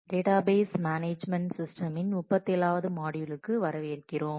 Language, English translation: Tamil, Welcome to module 37 of Database Management Systems